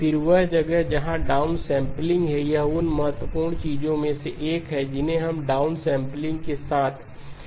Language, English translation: Hindi, Again, that is where the downsampling, that is one of the key things that we will want to keep in mind with downsampling